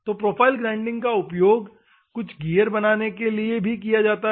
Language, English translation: Hindi, So, profile grinding also uses for making some the gears